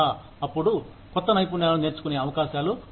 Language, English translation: Telugu, Then, the opportunities, to learn new skills, are present